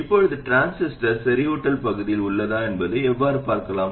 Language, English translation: Tamil, Now how do you verify whether the transistor is in saturation region